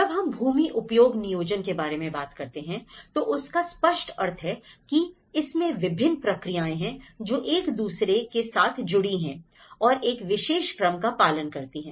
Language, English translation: Hindi, When we say land use planning means obviously, there are different processes, that goes hand in hand to each other and it goes in a particular sequence